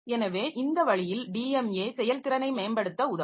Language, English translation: Tamil, So, so this way DMA can help us to improve performance